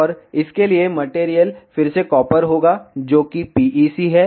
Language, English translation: Hindi, And the material for this will be again copper that is PEC